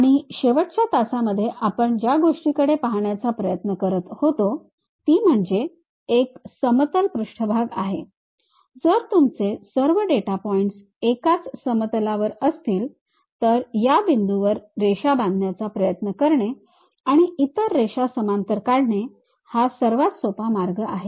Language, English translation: Marathi, And, one of the thing what we try to look at in the last classes was if it is a plane surface if all your data points lying on one single plane, the easiest way is trying to construct lines across these points and drawing other lines parallelly to that